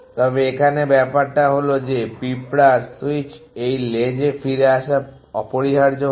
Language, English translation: Bengali, And in the thing is that the ant switch come back to this trail will do it faster essentially